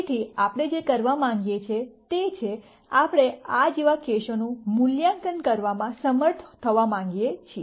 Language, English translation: Gujarati, So, what we want to do is, we want to be able to evaluate cases like this